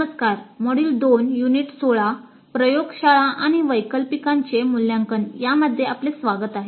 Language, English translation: Marathi, Greetings, welcome to module 2, unit 16 evaluating laboratory and electives